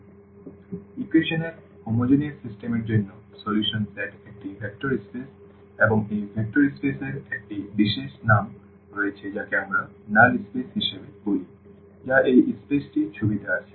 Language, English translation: Bengali, So, for the homogeneous system of equations the solution set is a vector space and this vector space has a special name which we call as null space that is what this space coming into the picture